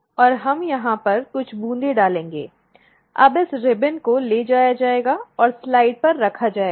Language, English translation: Hindi, And we will pour few drops over here, now this ribbon will be taken and placed on the slide